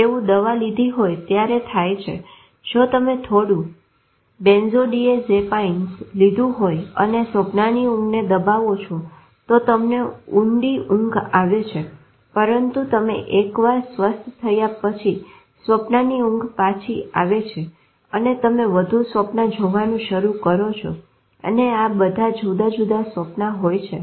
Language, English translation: Gujarati, It happens with medication if you take some of the benthodazapines and suppress dream sleep, you get a deep sleep but once once you recover then the dream sleep rebounds and you start seeing more dreams and all very vivid intense dreams